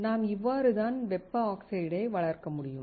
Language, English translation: Tamil, This is how we can grow the thermal oxide